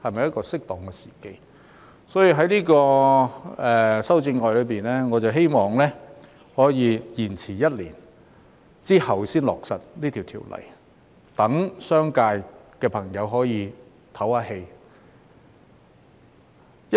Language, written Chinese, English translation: Cantonese, 因此，我在修正案中建議延遲一年才落實這項法例，讓商界朋友可以喘息。, Therefore in my amendments I suggest that the implementation of the legislative amendments be deferred for one year in order to give the business sector a breathing space